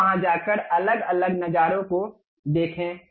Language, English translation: Hindi, Then go there look at these different views